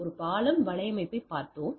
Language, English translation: Tamil, We have we have looked into a bridge network